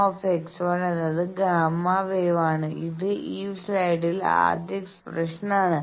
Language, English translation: Malayalam, You see that gamma x 1 is that gamma wave the first expression of this slide